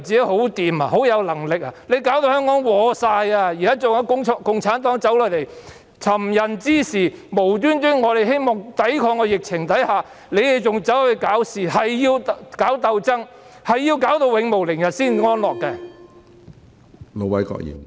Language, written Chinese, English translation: Cantonese, 她現在已拖垮香港，共產黨又走下來尋釁滋事，我們只是希望抵抗疫情，他們卻無故搞事，硬要搞鬥爭，硬要弄致永無寧日才安樂。, We simply want to fight the epidemic . However they have been making trouble for no reason and insisted on picking fights with us . They will not be satisfied until Hong Kong can never see a day of peace